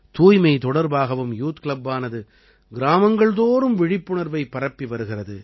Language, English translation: Tamil, This youth club is also spreading awareness in every village regarding cleanliness